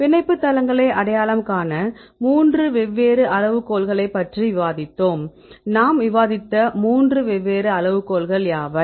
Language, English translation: Tamil, So, we discussed about three different criteria to identify the binding sites, what are three different criteria we discussed